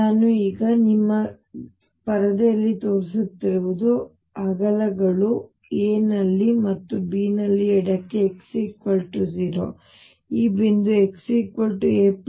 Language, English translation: Kannada, What I am showing now on your screen with widths being a here and b here on the left is x equals 0, this point is x equals a plus b the height is V